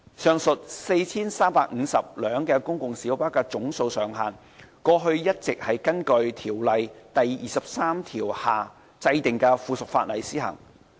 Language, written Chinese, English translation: Cantonese, 上述 4,350 輛公共小巴的總數上限，過去一直根據《條例》第23條下制定的附屬法例施行。, The aforesaid cap on the number of PLBs at 4 350 has all along been imposed by subsidiary legislation made under section 23 of the Ordinance